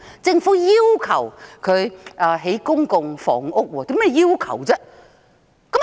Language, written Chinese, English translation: Cantonese, 政府要求港鐵公司興建公共房屋。, The Government requests MTRCL to construct public housing